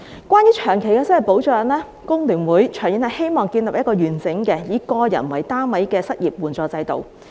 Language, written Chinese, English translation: Cantonese, 關於長期失業保障，工聯會希望長遠建立一個完整並以個人為單位的失業援助制度。, With regard to long - term unemployment protection HKFTU hopes that a comprehensive and individual - based unemployment assistance system can be established in the long run